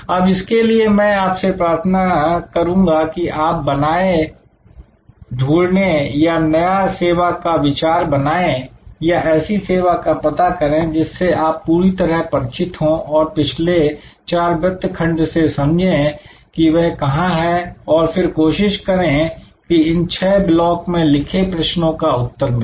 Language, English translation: Hindi, Now, this is I requested you to create, identify either create a new service idea or identify a service you are familiar with and understand in terms of the previous four quadrants, where they are and then, try to identify the answer to these six blocks of questions